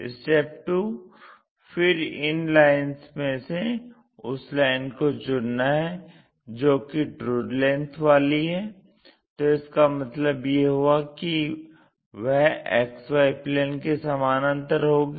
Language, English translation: Hindi, Then, among all those lines, pick a line which is showing true length; that means, the other view supposed to be parallel to the XY plane